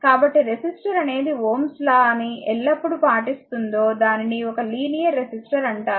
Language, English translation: Telugu, So, a is a resistor that always that obey is Ohm’s law is known as a linear resistor